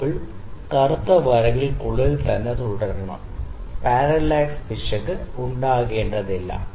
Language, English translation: Malayalam, The bubble has to remain within this black lines, there is not has to be any parallax error